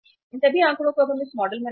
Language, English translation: Hindi, Put all these figure now in this model